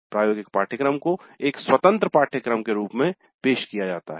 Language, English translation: Hindi, The laboratory course is offered as an independent course